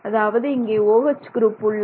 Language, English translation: Tamil, You have an OH group here